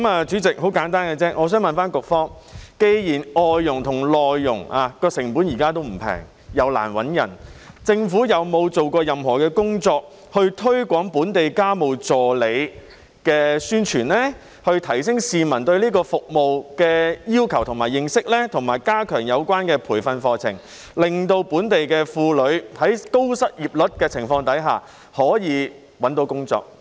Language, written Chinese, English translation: Cantonese, 主席，我想問局方，既然外傭和內傭的成本現時並不便宜，亦難以聘請，政府有否做過任何工作推廣本地家務助理，以提升市民對這項服務的需求及認識，以及加強有關培訓課程，令本地婦女在高失業率的情況下可以找到工作？, President I wish to ask the Bureau this question . Given that the costs of hiring a FDH or MDH are not cheap and that it is difficult to hire one has the Government made any effort to promote local domestic helpers so as to increase the publics understanding of and demand for this service and enhance the relevant training courses for local women who will then be able to find a job despite the present high unemployment rate?